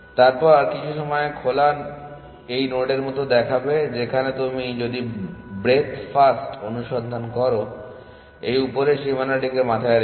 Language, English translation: Bengali, Then, the open at some point would look like this the node that you would, whereas if you do breadth first search keeping this upper bound in mind